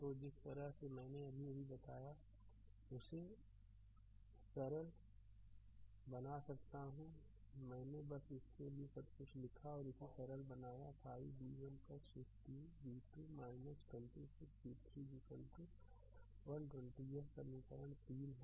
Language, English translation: Hindi, So, can simplify the way I told just now I wrote everything for you just you do it and simplify it will be 5 v 1 plus 15, v 2 minus 26, v 3 is equal to 120 this is equation 3